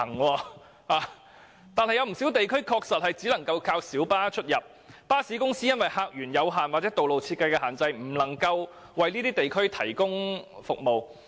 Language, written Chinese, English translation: Cantonese, 然而，有不少地區的確只靠小巴連接，原因是巴士公司因客源有限或道路設計的限制而無法為有關地區提供服務。, However many areas actually rely on light buses for connection because bus services cannot be provided due to a limited number of passengers or restrictions imposed by road designs